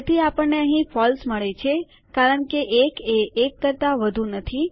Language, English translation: Gujarati, So we have got false here because 1 is not greater than 1